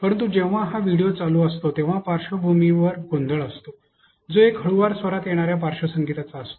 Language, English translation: Marathi, But the whenever this quantity is playing there is a background noise, a background music that comes at a slow tone